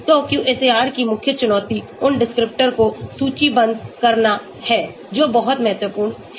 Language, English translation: Hindi, So the QSAR the main challenge is shortlisting the descriptors that is very, very important